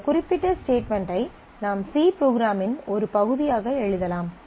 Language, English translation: Tamil, And this particular statement you can write as a part of the C program